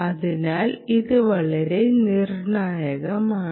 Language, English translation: Malayalam, so that is a very critical problem